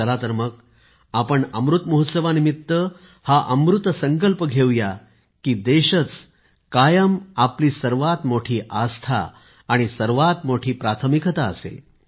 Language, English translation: Marathi, Come, on Amrit Mahotsav, let us make a sacred Amrit resolve that the country remains to be our highest faith; our topmost priority